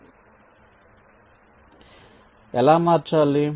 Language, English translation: Telugu, so how do manipulate